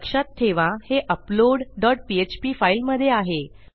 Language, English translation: Marathi, Remember this is in our upload dot php form, file sorry